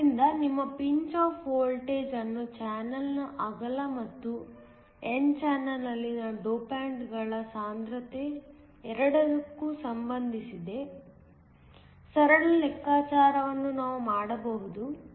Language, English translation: Kannada, So, we can do a simple calculation that relates your pinch off voltage to both the width of the channel and also the concentration of the dopants in the n channel